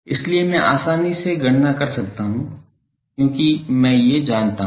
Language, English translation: Hindi, So, that I can easily calculate because I know these